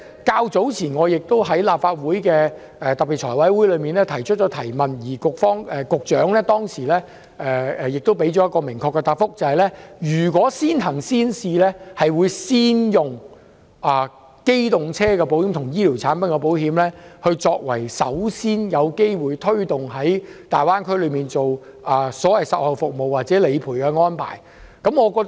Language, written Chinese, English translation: Cantonese, 較早前，我亦在立法會財務委員會特別會議上提出質詢，局長當時給予一個明確的答覆，表示如推行先行先試，會先以機動車保險和醫療產品保險，作為最先有機會在大灣區落實所謂售後服務或理賠安排的對象。, Earlier on I also asked a question at the special meeting of the Finance Committee and the Secretary gave us a clear answer that if pilot implementation was adopted the insurance products for motor vehicles and health would be the first products to get the chance to provide policy servicing and claims processing arrangements in the Greater Bay Area